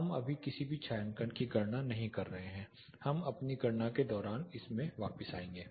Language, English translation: Hindi, So, we are not calculating any shading right know we will come back to this in course of our calculation